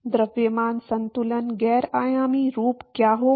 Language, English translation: Hindi, What will be the mass balance is non dimensional form